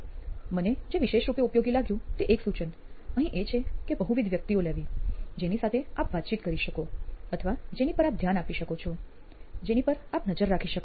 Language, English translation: Gujarati, Now again a tip here which I found it particularly useful is to have multiple personas who will be interacting with or whom you are going to track, whom you’re going to shadow